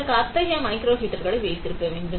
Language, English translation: Tamil, For that, we need to have such microheaters